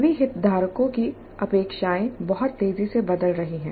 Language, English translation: Hindi, The expectations from all the stakeholders are changing very rapidly